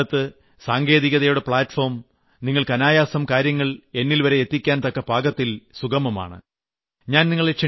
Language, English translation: Malayalam, Today the platforms of technology are such that your message can reach me very easily